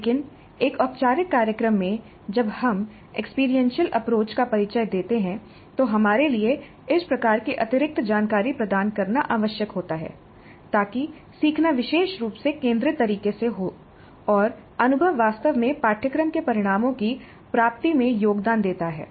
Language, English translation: Hindi, In the traditional model this was not emphasized but in a formal program when we introduced experiential approach it is necessary for us to provide this kind of additional information so that learning occurs in a particularly focused manner and the experience really contributes to the attainment of the course outcomes